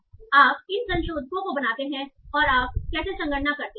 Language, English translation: Hindi, So you make this modifiers and how do you do computations